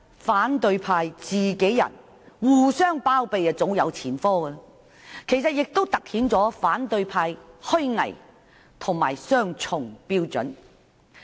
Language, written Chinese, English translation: Cantonese, 反對派互相包庇早有前科，事件亦突顯了他們的虛偽和雙重標準。, The opposition parties have had many cases of harbouring each other and the present incident also highlights their hypocrisy and double standards